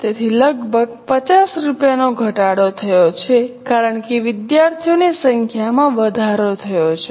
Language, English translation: Gujarati, So, almost 50 rupees reduction has happened because number of students have gone up